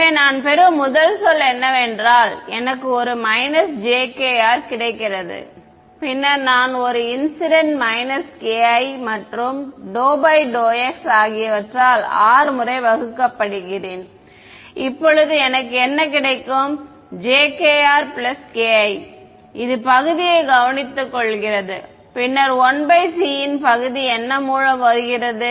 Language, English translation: Tamil, So, what is the first term that I get I get a minus j k r right then I get a minus k i is d by d x put on incident field plus R times now what will I get j k r plus k i this takes care of the d by dx part, then comes 1 by c what is the time part over here